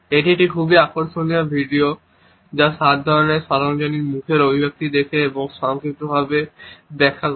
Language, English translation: Bengali, This is a very interesting video which looks at the seven types of universal facial expression and explains them in a succinct manner